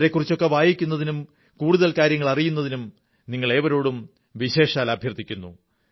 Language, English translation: Malayalam, I urge you to read up about them and gather more information